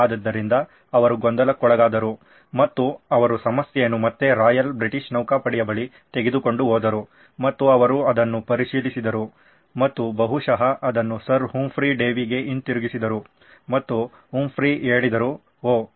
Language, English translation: Kannada, So, he was perplexed and he took the problem back to the Royal British Navy and they examined it and probably took it back to Sir Humphry Davy himself and Humphry said, oops